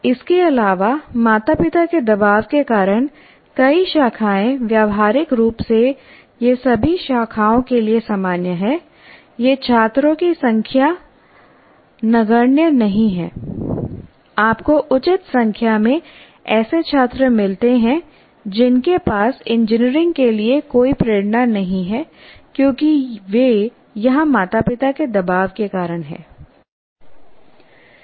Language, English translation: Hindi, And also, because of the kind of parental pressure that you have, many branches, practically it is common to all branches, you may find that it's not an insignificant number of students, you find reasonable number of students who have no motivation for engineering because they are there because of the parental pressure